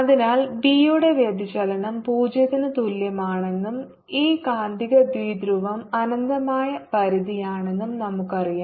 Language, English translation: Malayalam, so suppose we know that divergence of b equal to zero and this magnetic dipole is of infinite extent